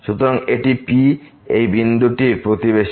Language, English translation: Bengali, So, this is the neighborhood of this point P